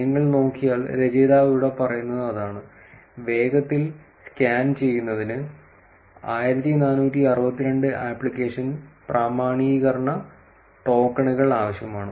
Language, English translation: Malayalam, That is what the author say here if you look at it, quicker scans would need 1,462 application authentication tokens